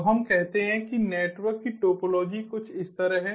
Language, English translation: Hindi, now let us say that the topology of the network is something like this